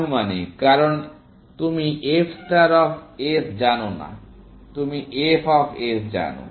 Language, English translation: Bengali, The estimated, because you do not know f star of s; you know f of s